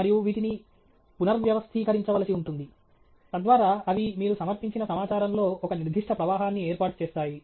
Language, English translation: Telugu, And these would have to be reorganized, so that they form a certain flow in the information you present